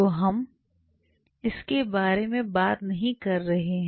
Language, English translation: Hindi, So, we are not talking about it